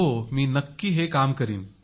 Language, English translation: Marathi, Yes, I certainly will do